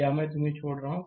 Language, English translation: Hindi, This is I am leaving up to you